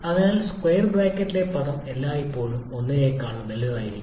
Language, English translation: Malayalam, So, the term in the square bracket will actually will always be greater than 1